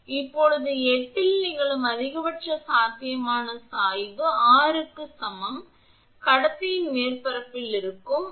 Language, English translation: Tamil, Now, the maximum potential gradient occurs at x is equal to r, where x is equal to r that is at the surface of the conductor